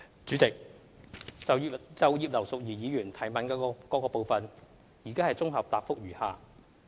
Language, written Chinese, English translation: Cantonese, 主席，就葉劉淑儀議員質詢的各部分，現綜合答覆如下。, President my consolidated reply to various parts of Mrs Regina IPs question is as follows